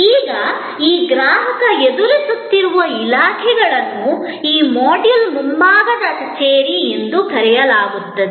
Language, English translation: Kannada, Now, these customer facing departments are often called in this module, the front office, the front stage